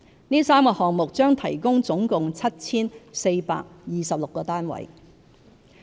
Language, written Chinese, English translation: Cantonese, 這3個項目將提供總共 7,426 個單位。, These three projects will provide a total of 7 426 housing units